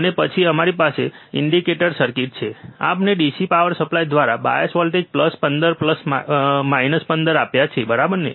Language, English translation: Gujarati, And then we have the indicator circuit, we have given the bias voltage plus 15 minus 15 through the DC power supply, right